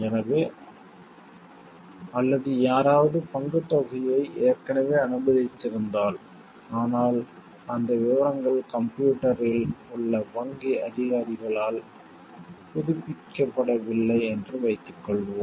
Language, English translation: Tamil, So, or suppose like if somebody has already cleared the role amount, but the details are not updated by the bank officials in the system